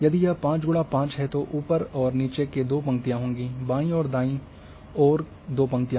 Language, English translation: Hindi, If it is 5 by 5 then there will be two rows on top and bottom two rows on left and right